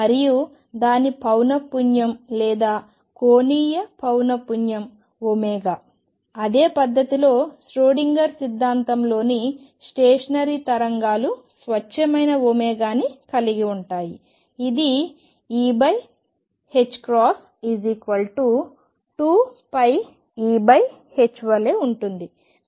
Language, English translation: Telugu, And that was frequency or angular frequency was omega in the same manner the stationary waves in Schrödinger’s theory will have a pure omega which will be given as E over h cross which is same as 2 pi E over h ok